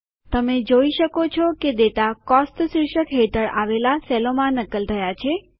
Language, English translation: Gujarati, You see that the data under the heading Cost gets copied to the adjacent cells